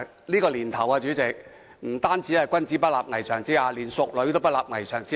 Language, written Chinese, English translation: Cantonese, "這個年頭，不單"君子不立危牆之下"，連"淑女也不立危牆之下"。, These years not only a gentleman will not stand beneath a dangerous wall even a lady will not stand beneath a dangerous wall